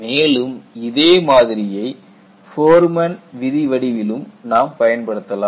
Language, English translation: Tamil, We also use a similar form in Forman law